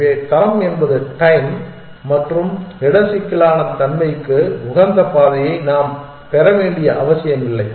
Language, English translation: Tamil, So, quality is not guarantee we do not necessarily get an optimized path now as to time and space complexity